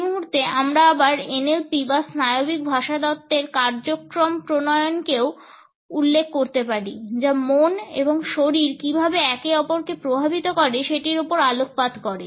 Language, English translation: Bengali, At this point, we can also refer to NLP or the Neuro Linguistic Programming again, which focuses on how mind and body influence each other